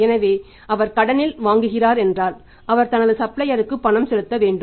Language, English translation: Tamil, So, if he is buying on the credit he has to make the payment to suppliers